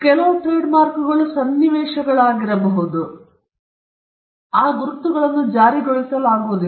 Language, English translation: Kannada, Some of the trademarks, trademarks can be situations where if the right is not renewed or if the right is not used, then that marks cannot be enforced